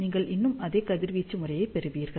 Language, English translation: Tamil, You will still get similar radiation pattern